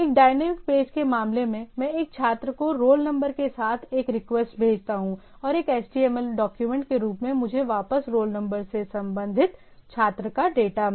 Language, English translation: Hindi, In the in case of a dynamic page, I send a request with a student roll number say and get a data related to the student roll number back to me as a HTML document right